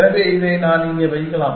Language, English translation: Tamil, So, I can put this here